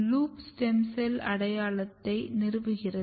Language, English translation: Tamil, Loop is establishing the stem cell identity